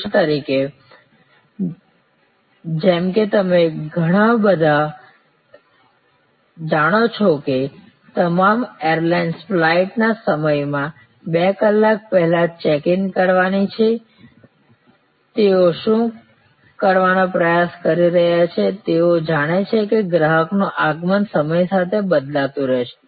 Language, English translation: Gujarati, For example, as you all of you know that all airlines one due to check in two hours before the flight time, what they are trying to do is they know that the arrival of customer's will be varying with time